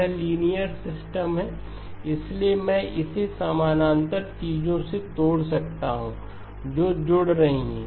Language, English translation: Hindi, This is a liner system so I can break it up into 3 parallel things which are getting added